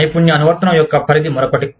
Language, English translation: Telugu, Range of skill application is another one